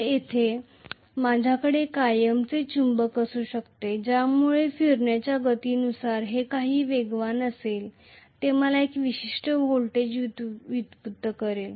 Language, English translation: Marathi, So, there I can have a permanent magnet, so whatever is the speed of rotation correspondingly I will have a particular voltage generated